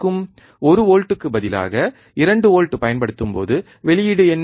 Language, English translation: Tamil, When we applied 2 volts instead of 1 volt, what is the output